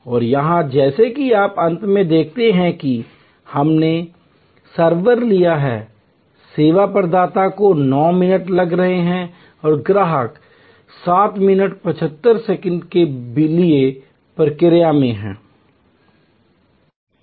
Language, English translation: Hindi, And here as you see at the end we have taken the server, the service provider is taking 9 minutes and the customer is in the process for 7